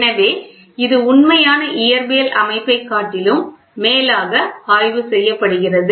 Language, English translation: Tamil, So, it is studied rather than the actual physical system